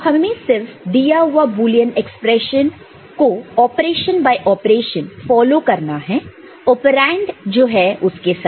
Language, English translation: Hindi, So, you can just simply follow the Boolean any given Boolean expression, operation by operation, with the operands that are there